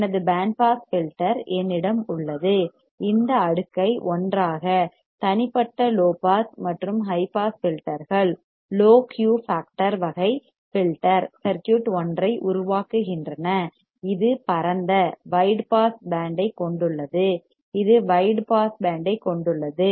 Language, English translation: Tamil, I have my band pass filter, with this cascading together of individual low pass and high pass filters produces a low Q factor type filter circuit, which has a wide pass band which has a wide pass band